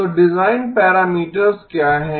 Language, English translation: Hindi, So what are the design parameters